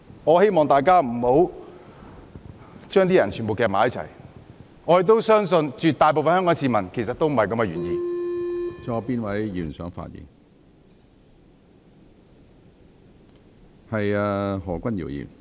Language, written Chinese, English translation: Cantonese, 我希望大家不要把所有人捆綁在一起，我亦相信絕大部分香港市民的原意不是這樣。, I hope we will not bundle up all people and I also believe that is not the original intention of most Hong Kong people